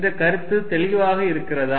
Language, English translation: Tamil, Is the point clear